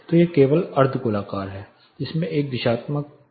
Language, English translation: Hindi, So, it only hemispherical in which there is a directional quantity introduced